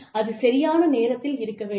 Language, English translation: Tamil, It has to be timely